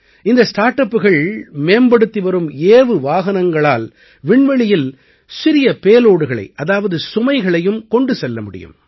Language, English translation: Tamil, These startups are developing launch vehicles that will take small payloads into space